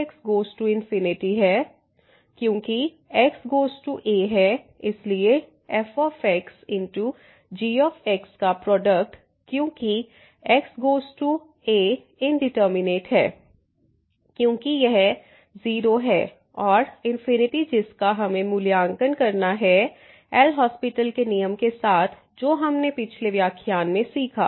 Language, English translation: Hindi, As goes to a then this product of into this as x goes to is is indeterminate, because this is precisely 0 and into infinity which we have to evaluate using the L’Hospital rule discussed in the last lecture